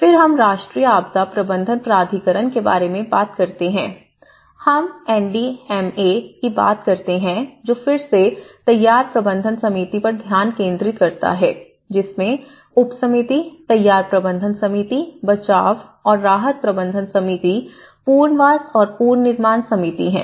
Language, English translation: Hindi, Then, we talk about National Disaster Management Authority, we call the NDMA which again focuses on the preparedness management committee has subcommittees, preparedness management committee, rescue and relief management committee and rehabilitation and reconstruction committee